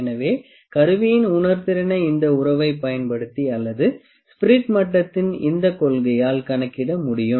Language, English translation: Tamil, So, this sensitivity of the instrument can be calculated using this relation or this principle, this is a spirit level